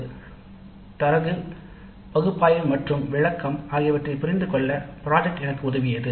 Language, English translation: Tamil, Project work helped me in my understanding of analysis and interpretation of data